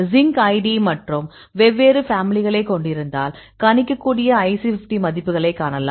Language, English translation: Tamil, So, if you see this is the zinc id and you have the different families, you can see the IC50 values you can predict